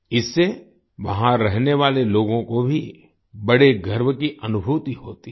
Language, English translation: Hindi, This also gives a feeling of great pride to the people living there